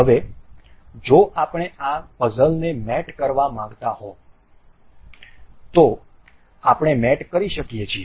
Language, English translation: Gujarati, Now, if we want to mate this this puzzle, we can go through mate